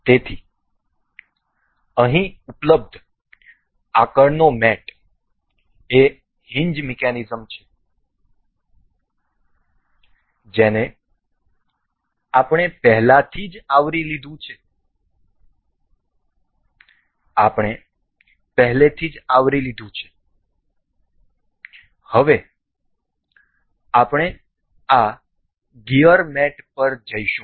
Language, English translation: Gujarati, So, the next mate available here is hinge mechanism that we have already covered, we have already covered now we will go about this gear mate